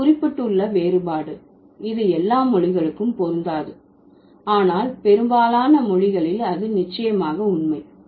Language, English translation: Tamil, But notice the difference as I mentioned, this may not hold true for all languages, but it definitely holds true for most languages